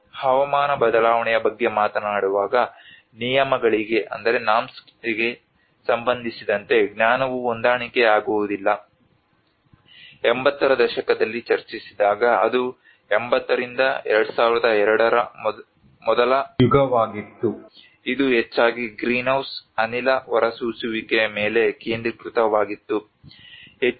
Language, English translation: Kannada, Where we have also the knowledge mismatches in the norms when we talk about the climate change, it was when it was discussed in the 80s which was the first era from 80s to 2002 it was mostly focused on the greenhouse gas emissions